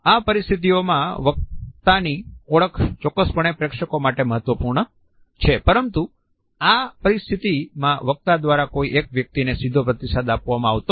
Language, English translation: Gujarati, In these situations the identity of the speaker is definitely important for the audience, but the audience are not responded to as individuals by the speaker in this situation